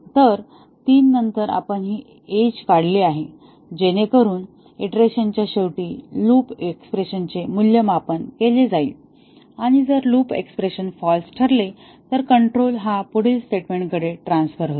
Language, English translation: Marathi, So, after 3 we have drawn this edge, so that at the end of iteration the loop expression is evaluated and if the loop expression becomes false then the control transfers to the next statement